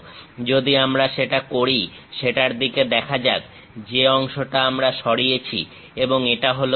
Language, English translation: Bengali, If you do that, let us look at that; this is the part what we are removing and this is completely empty